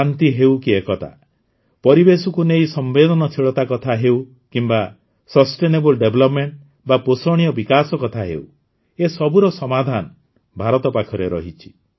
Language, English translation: Odia, Whether it is peace or unity, sensitivity towards the environment, or sustainable development, India has solutions to challenges related to these